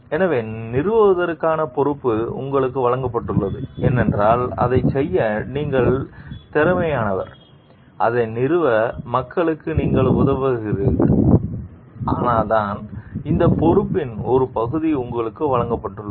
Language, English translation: Tamil, So, you have been given the responsibility to install because, you are competent to do it and you have been helping people to install that is why, you have been given a part of that responsibility